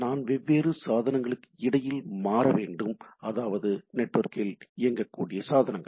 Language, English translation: Tamil, I need require to switch between different devices right, network enabled devices